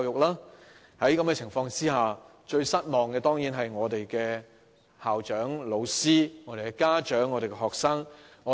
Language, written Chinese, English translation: Cantonese, 在此情況下，最失望的當然是我們的校長、老師、家長和學生。, In the circumstances the most disappointed are surely our school principals teachers parents and students